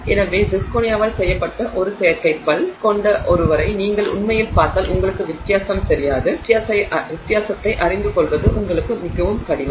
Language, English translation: Tamil, So, if you actually see somebody with an artificial tooth made of zirconia you would not know the difference